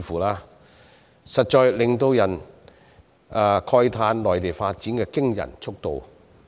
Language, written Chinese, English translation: Cantonese, 這實在令人讚嘆內地發展的驚人速度。, It has indeed caught everyone by surprise that the Mainland is developing at such an astonishing pace